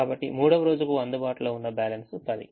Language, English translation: Telugu, so balance available for the third day is ten